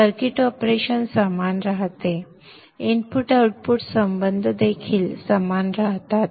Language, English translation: Marathi, The input output relationship also remains the same